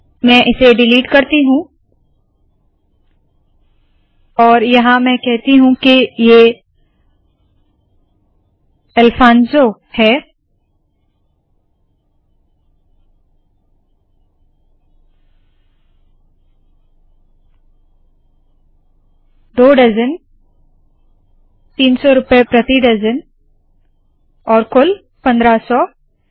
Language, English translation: Hindi, And here let me say that it is Alfanso 2 dozens 300 rupees a dozen, and a total of 1500